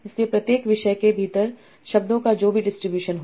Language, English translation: Hindi, So what are the distribution of words within each topic